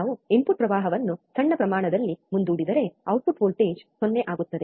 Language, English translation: Kannada, If we dieffer the input current by small amount, the output voltage will become 0